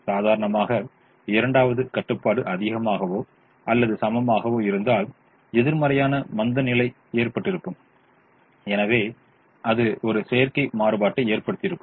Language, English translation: Tamil, ordinarily the, the second constraint, which had the greater than or equal to, would have resulted in a negative slack and therefore you would would have resulted in a artificial variable